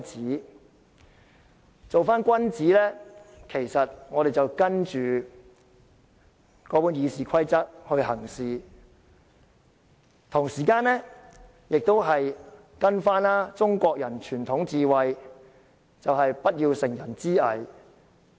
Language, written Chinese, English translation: Cantonese, 如要做君子，我們便應依照《議事規則》行事，同時依循中國人的傳統智慧，不要乘人之危。, If we are to become superior men we should act in accordance with RoP and comply with the conventional wisdom of Chinese people by not taking advantage of others difficulties